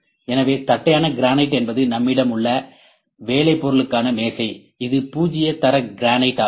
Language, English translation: Tamil, So, granite flatness granite is the work table that we have it is the flatness it is the zero grade granite